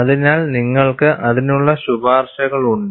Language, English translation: Malayalam, So, you have recommendations for that